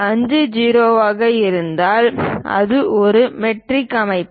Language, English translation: Tamil, 50, it is a metric system